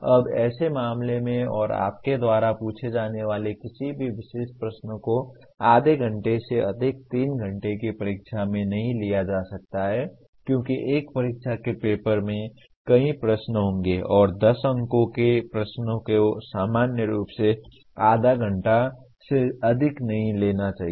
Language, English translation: Hindi, Now in such a case, and any particular question that you ask cannot take in a 3 hour exam more than half an hour because an exam paper will have several questions and a 10 mark questions should take normally not more than half an hour